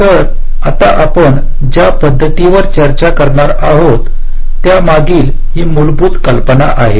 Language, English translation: Marathi, so this is the basic idea behind the methods that we shall be discussing now